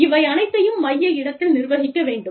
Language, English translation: Tamil, And, all this has to be managed, in a central location